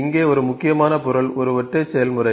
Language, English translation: Tamil, So, one important object here is a single process